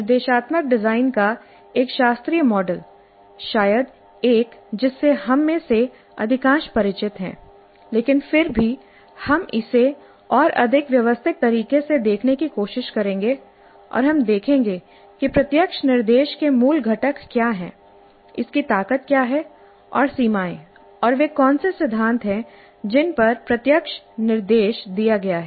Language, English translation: Hindi, A classical model of instruction design, probably one with which most of us are familiar, but still we will try to look at it in a more systematic fashion and we will see what are the basic components of direct instruction, what are its strengths and limitations and what are the principles on which the direct instruction is placed